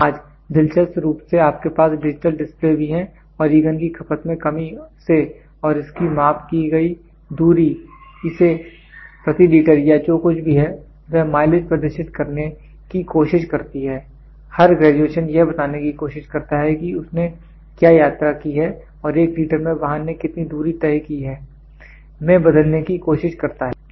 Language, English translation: Hindi, Today, interestingly you have also digital displays from the mileage the from the reduction in the fuel consumption it and the distance measured it tries to turn display the mileage per every litre or every whatever it is, every graduation it tries to tell what is the mileage it has travelled and it tries to convert this into for 1 litre, what is the distance travelled in this vehicle